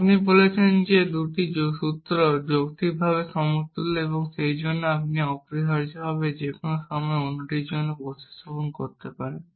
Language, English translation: Bengali, You say that two formulas are logically equivalent and therefore, you can substitute one for other at any point of time essentially